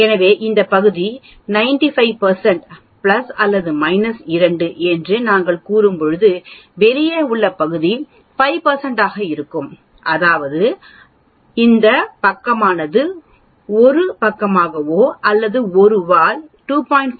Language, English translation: Tamil, So, when we say this area is 95 percent that is plus or minus 2 sigma, then the area outside will be obviously 5 percent that means, this side that is 1 side of it or one tail of it will be 2